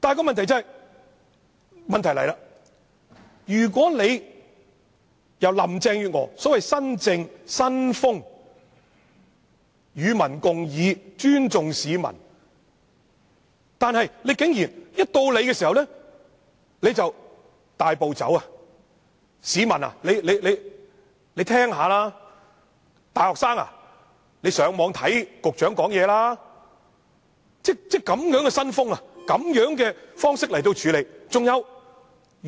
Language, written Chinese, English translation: Cantonese, 然而，問題來了，林鄭月娥展現了所謂新政、新風，說是與民共議，尊重市民，但竟然甫一上場便大步走，叫市民聽聽討論內容，叫大學生上網看局長的說話，是以這樣的新風，這樣的方式來處理。, She said that she would discuss this issue together with the public and respect the public . However shortly after she has taken office she started taking a drastic approach . She asked the public to listen to the arguments of the discussions and asked the university students to go online to listen to what the Secretary has said